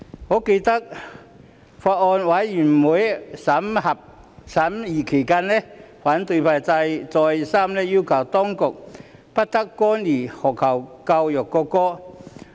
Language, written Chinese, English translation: Cantonese, 我記得，在法案委員會審議期間，反對派再三要求當局不得干預學校教育國歌的事宜。, I remember that during the scrutiny by the Bills Committee the opposition camp over and again requested the authorities not to interfere with the matters of national anthem education in schools